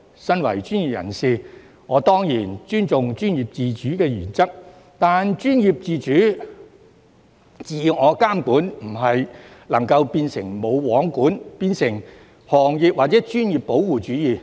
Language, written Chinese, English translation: Cantonese, 身為專業人士，我當然尊重專業自主原則，但專業自主，自我監管，不能夠變成"無皇管"，或變成行業或專業保護主義。, As a professional I certainly respect the principle of professional autonomy; yet professional autonomy and self - regulation should not be turned into nil regulation or protectionism in that industry or profession